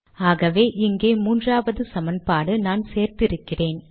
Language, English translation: Tamil, Now this has become the third equation